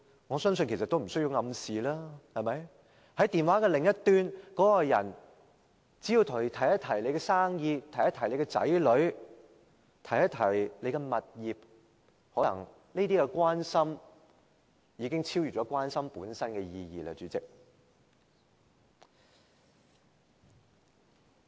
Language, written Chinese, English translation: Cantonese, 我相信其實無需暗示，只要電話另一端的那個人提及你的生意、子女、物業，這些關心可能已經超越關心本身的意義了，主席。, In my opinion an implicit message is actually unnecessary . As soon as the person at the other end of the phone reminds you of your business children and properties such kind of care has already transcended its original meaning President